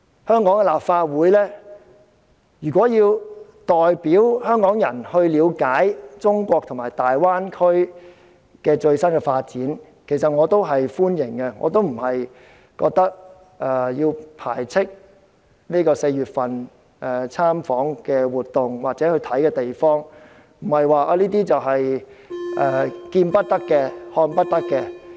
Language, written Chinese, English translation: Cantonese, 香港立法會如要代表香港人了解中國和大灣區最新的發展，其實我是歡迎的，我並不是要貶斥參與4月份訪問活動或視察的同事，這些地方不是見不得、看不得的。, Indeed I do welcome the Hong Kong Legislative Council when acting on behalf of the Hong Kong people go to learn the latest development of China and the Greater Bay Area . I do not mean to criticize colleagues who participated in the visit or inspection in April as those places they toured are not taboo or forbidden places